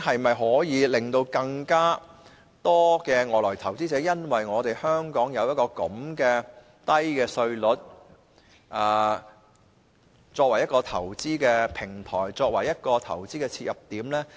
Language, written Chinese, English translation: Cantonese, 會否有更多外來投資者因為香港的低稅率，選擇香港為投資平台或投資切入點？, Will more foreign investors choose Hong Kong as a platform or entry point for investment because of our low tax rates?